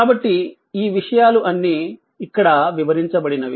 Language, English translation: Telugu, So, this is all have been explained here